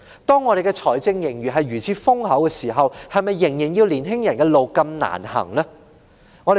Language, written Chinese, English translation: Cantonese, 本港財政盈餘現時如此豐厚，為何仍要年青人走如此艱難的路？, Hong Kong currently has such an enormous fiscal surplus . Why do young people still need to take such a difficult path?